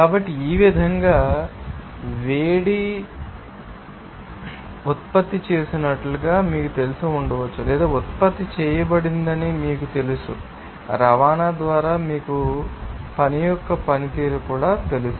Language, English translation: Telugu, So, in this way the heat may be you know that produced or you know generated or by transport by you know performance of the work